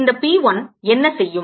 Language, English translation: Tamil, what would this p one do